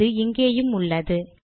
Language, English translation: Tamil, You can see it here